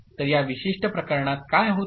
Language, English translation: Marathi, So, what happens in this particular case